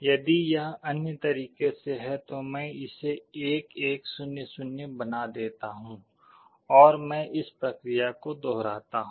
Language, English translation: Hindi, If it is other way round, I make it 1 1 0 0, and I repeat this process